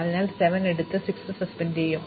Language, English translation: Malayalam, So, we will pick up 7 and suspend 6